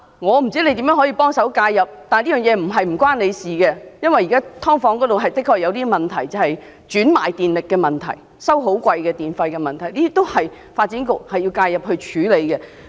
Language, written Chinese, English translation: Cantonese, 我不知道局長如何介入，但這個問題並非與他無關，因為"劏房"現時的確出現業主轉賣水電，收取昂貴費用的問題，需要發展局介入處理。, While I have no idea in what way the Secretary can intervene the problem is by no means irrelevant to him . For there is indeed a problem with subdivided units where landlords are charging exorbitant fees at reselling water and electricity which calls for the intervention of the Development Bureau